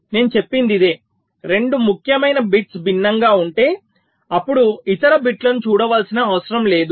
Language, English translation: Telugu, if the two most significant bits are different, then there is no need to look at the other bits